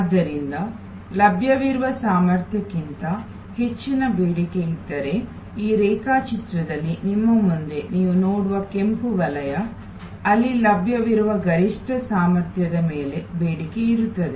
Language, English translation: Kannada, Therefore, if there is demand which is higher than the capacity that is available, the red zone that you see in this diagram in front of you, where the demand is there on top of the maximum available capacity